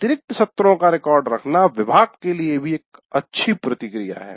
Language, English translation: Hindi, So a record of this additional sessions is a good feedback to the department itself